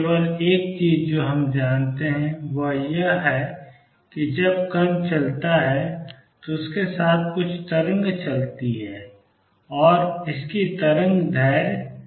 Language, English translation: Hindi, The only thing we know is that there is some wave travelling with the particle when it moves and it has a wavelength h over p